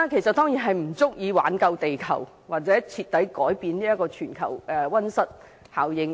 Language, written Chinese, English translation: Cantonese, 這當然不足以挽救地球，或徹底改變全球的溫室效應。, Of course not . It will not be sufficient to save the Earth or reverse the global greenhouse effect